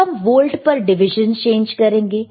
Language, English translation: Hindi, Now we can change the volts per division